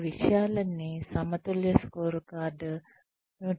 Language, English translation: Telugu, All of these things then drive the balanced scorecard